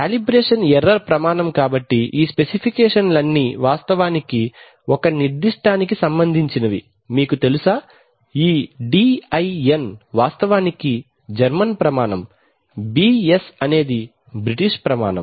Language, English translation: Telugu, Calibration error standard so all these specifications are actually with respect to a certain, you know, this DIN is the actually the German standard, BS is the British standard